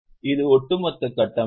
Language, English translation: Tamil, This is the overall structure